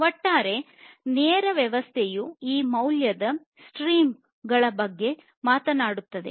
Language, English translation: Kannada, So, the overall lean system talks about this value, value streams